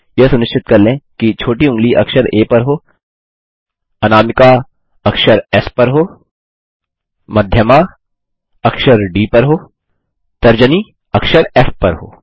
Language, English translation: Hindi, Ensure that the little finger is on alphabet A, Ring finger is on the alphabet S, Middle finger on alphabet D, Index finger on alphabet F